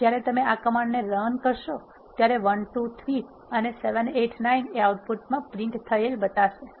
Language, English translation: Gujarati, Now, once when you do this command you will say 1 2 3 and 7 8 9 will be printed as your output